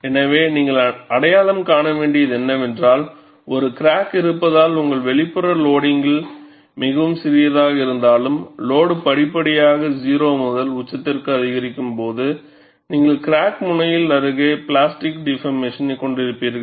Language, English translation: Tamil, So, what you have to recognize is, even though your external loading is much smaller, because of the presence of a crack, when the load is increased gradually from to 0 to peak, invariably, you will have plastic deformation near the crack tip